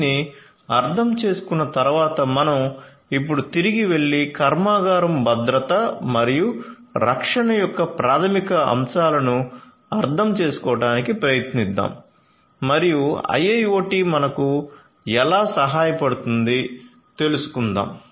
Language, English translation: Telugu, So, having understood this let us now go back and try to understand the basic concepts of plant security and safety and how IIoT can help us